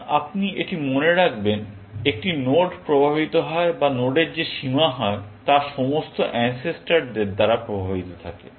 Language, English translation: Bengali, Now, you remember this; a node is influenced or the bound that node gets, is influenced by all the ancestors